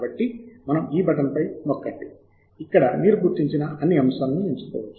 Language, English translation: Telugu, so you can click on this button here where you can select all items that you have identified